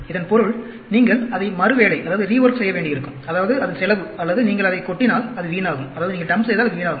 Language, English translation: Tamil, Which means, you may have to rework it; that means, it is cost or if you just dump it, that is a waste